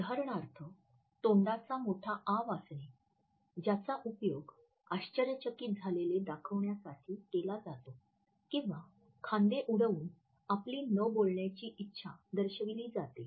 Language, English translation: Marathi, For example, dropping the jaw and holding the mouth which is used to indicate surprise or shrugging the shoulders to indicate helplessness or your unwillingness to talk